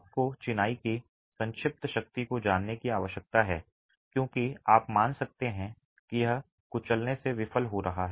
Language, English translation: Hindi, You need to know the compressive strength of the masonry because you can assume that it is going to fail by crushing